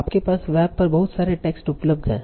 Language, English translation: Hindi, Yes, there is a lot of knowledge available on the web